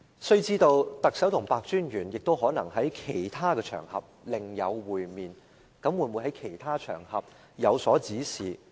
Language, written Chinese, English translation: Cantonese, 須知道，特首和白專員可能在其他場合另有會面，他會否在其他場合有所指示？, One should know that the Chief Executive and Commissioner PEH might have met on some other occasions . Did he ever give any orders to him on those other occasions?